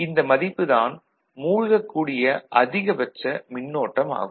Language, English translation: Tamil, So, that is the maximum current it can sink, ok